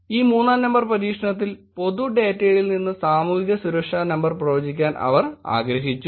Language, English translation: Malayalam, In this experiment 3 they wanted to predict Social Security Number from public data